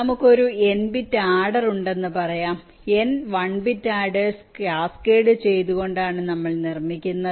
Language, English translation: Malayalam, let say we have an n bit adder, which where constructing by cascading n one bit adders